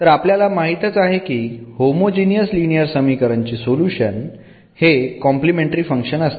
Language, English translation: Marathi, So, solution of this homogeneous linear equations the complementary function